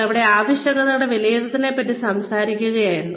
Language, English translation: Malayalam, We were talking about, needs assessment, yesterday